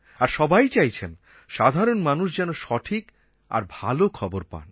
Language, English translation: Bengali, And everybody feels that the people should get the right news and good news